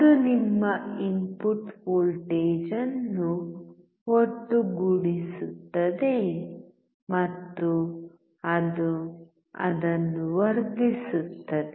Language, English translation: Kannada, it sums your input voltage, and it also amplifies it